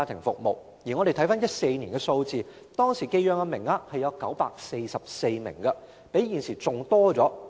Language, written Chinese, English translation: Cantonese, 在2014年，寄養名額有944名，較現時為多。, In 2014 there were 944 places of foster care homes which were more than today